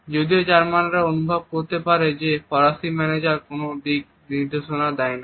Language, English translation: Bengali, While Germans can feel that the French managers do not provide any direction